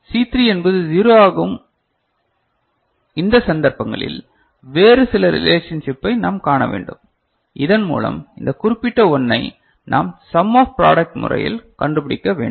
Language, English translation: Tamil, C3 is 0, in these cases we have to see some other relationship by which we have to figure out this particular 1 which is existing in a some of product method